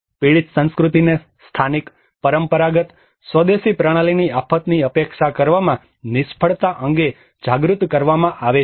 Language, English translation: Gujarati, A victim culture is made aware of the failure of local, traditional, indigenous system to either anticipate the disaster